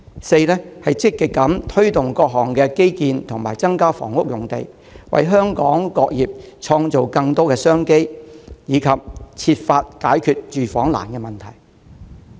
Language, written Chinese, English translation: Cantonese, 四、積極推動各項基建及增加房屋用地，為香港各業創造更多商機，並設法解決住房難的問題。, Fourth she proactively promotes various infrastructure projects and increases land supply for housing with a view to creating more business opportunities for all sectors in Hong Kong and finding ways to resolve the housing difficulty